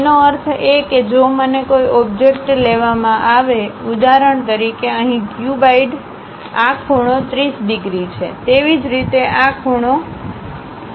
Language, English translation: Gujarati, That means if I am taken an object, for example, here cuboid; this angle is 30 degrees; similarly this angle is 30 degrees